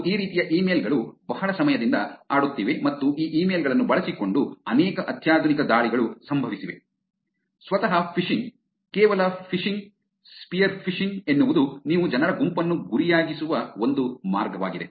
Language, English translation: Kannada, And these kind of emails have been playing around for a long time and there are many sophisticated attacks that has happened using these emails; phishing itself, just phishing, sphere phishing